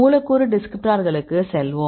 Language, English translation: Tamil, So, we go for the molecular descriptors